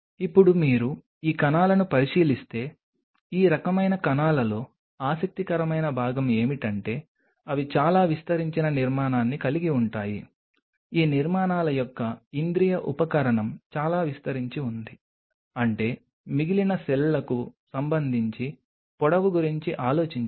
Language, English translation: Telugu, Now, if you look at these cells the interesting part of these kind of cells are they have a very extended structure like this, which is the sensory apparatus of these structures very extended I mean think of the length with respect to the rest of the cell body rest of the cell body is very small right